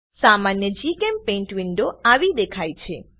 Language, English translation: Gujarati, A typical GChemPaint window looks like this